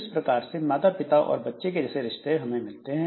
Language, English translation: Hindi, So, we have got this parent child relationship